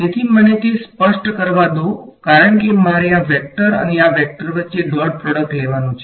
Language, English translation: Gujarati, So, let me so is that is clear right because I have to take the dot product between this vector and this vector over here